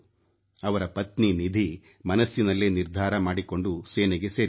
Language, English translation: Kannada, His wife Nidhi also took a resolve and joined the army